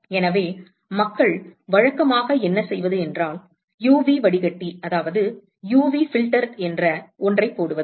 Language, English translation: Tamil, So, what people do usually is you put something called an UV filter